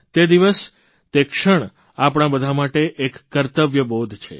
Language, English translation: Gujarati, That day, that moment, instills in us all a sense of duty